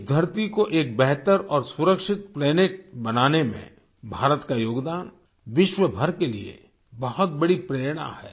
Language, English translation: Hindi, India's contribution in making this earth a better and safer planet is a big inspiration for the entire world